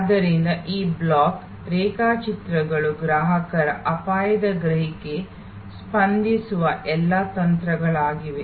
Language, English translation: Kannada, So, these block diagrams are all the strategies that respond to the customer's perception of risk